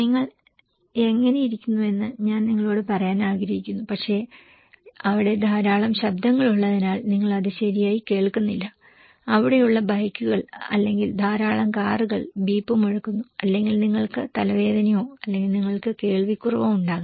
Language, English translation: Malayalam, I want to say you how are you but maybe you are not listening it properly because there are a lot of noises there, the bikes there or a lot of the cars are beeping or maybe you have headache or you have difficulty in hearing